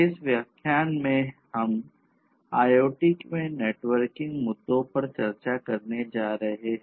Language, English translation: Hindi, In this lecture, we are going to look at the networking issues in IoT